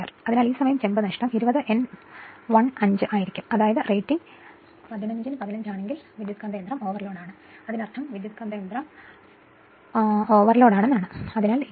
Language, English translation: Malayalam, So, that time copper loss will be 20 upon 15; that mean, transformer is overload if rating is 15 at 20